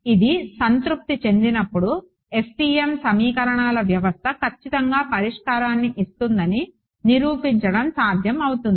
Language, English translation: Telugu, When this is satisfied, it is possible to prove that the FEM system of equations rigorously gives the solution